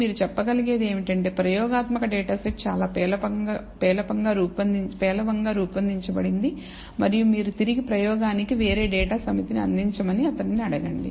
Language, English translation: Telugu, All you can say is that the experimental data set is very poorly designed, and you need to get back to the experimenter and ask him to provide a different data set